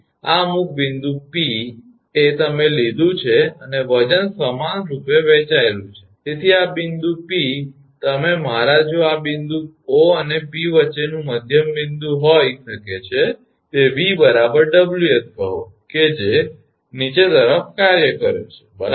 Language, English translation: Gujarati, So, this is at some point P you have taken and the weight is uniformly distributed therefore, this point you can my if this point the middle point between O and P this is the middle point between O and P, that V is equal to the vertical Ws say is acting downwards right